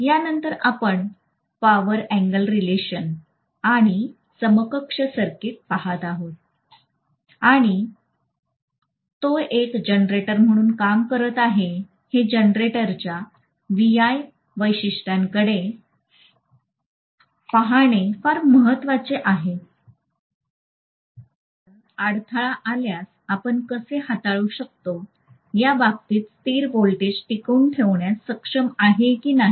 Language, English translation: Marathi, After that we will looking at power angle relationship and equivalent circuit and because it is working as a generator it is very important to look at VI characteristics of the generator whether it will be able to maintain a constant voltage in case of disturbance how do we handle it, these things will be talked about